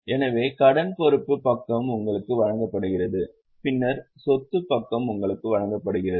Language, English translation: Tamil, So, liability side is given to you, then the asset side is given to you